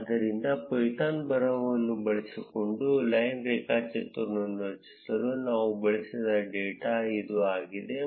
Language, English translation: Kannada, So, this is the data that we used to create the line graph using the python's script